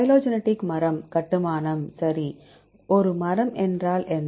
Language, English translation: Tamil, Phylogenetic tree construction right, what is a tree